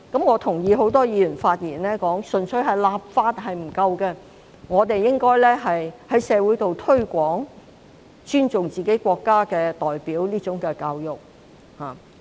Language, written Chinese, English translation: Cantonese, 我同意很多議員在發言時提到，純粹立法並不足夠，我們亦應該在社會進行推廣，教育市民必須尊重自己的國家。, I agree with the remarks by many Members in their speeches that merely enacting legislation is inadequate we should also launch promotion in society to educate members of the public to respect our country